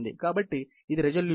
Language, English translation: Telugu, So, this is the resolution